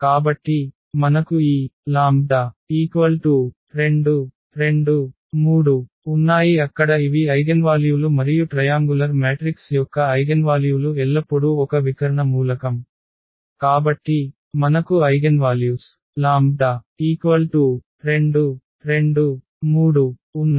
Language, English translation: Telugu, So, we have this 2 2 3 there these are the eigenvalues and the eigenvalues of a triangular matrix are always it is a diagonal element; so, we have these eigenvalues 2 2 3